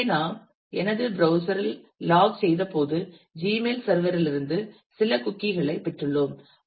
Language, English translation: Tamil, So, when we logged in my browser has got a got some cookie from the mail Gmail server